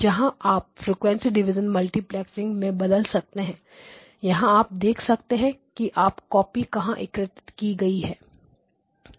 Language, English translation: Hindi, Where you convert into a frequency a division multiplex signal as you can see this is where the copies are getting generated